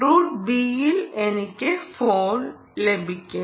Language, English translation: Malayalam, route b is i will get the phone